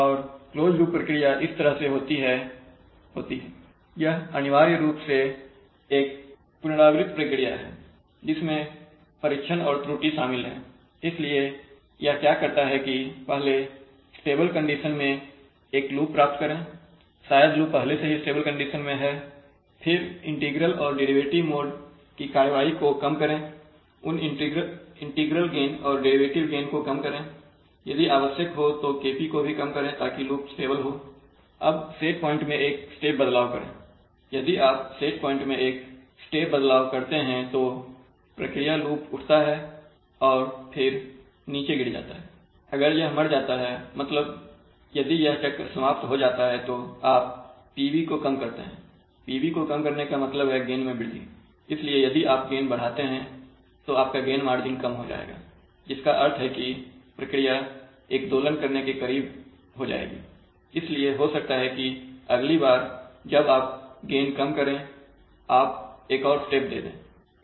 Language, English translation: Hindi, And the closed loop procedure goes like this, it is essentially an iterative procedure, that is it involves trial and error, so what it does is that first get the loop in a, in a stable condition probably the loop is already in a stable condition operating, then minimize action of integral and derivative modes, reduce those integral and derivative gains, if necessary reduce the KP also, so that the loop is stable, now make a step change in the set point right, so make a check, so if you make a step change in the set point, if you make a step change in the set point, so you make a step change in the set point